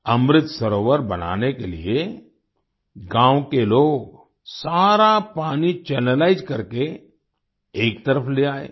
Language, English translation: Hindi, To make the Amrit Sarovar, the people of the village channelized all the water and brought it aside